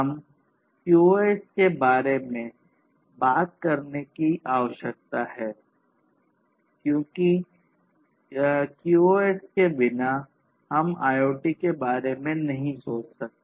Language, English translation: Hindi, So, we need to talk about QoS now, because without QoS we cannot think of IoT; IoT is about services quality of service is very important